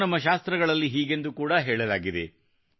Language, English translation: Kannada, And this has been quoted in our scriptures too